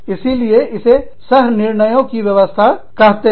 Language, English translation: Hindi, So, that is why, it is called a system of co decisions